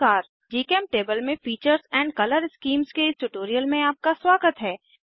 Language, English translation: Hindi, Hello everyone.Welcome to this tutorial on Features and Color Schemes in GChemTable